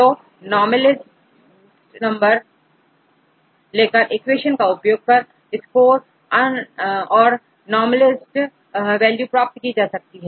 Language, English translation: Hindi, So, this is normalized one you can use this equation to normalize the score and get the normalized values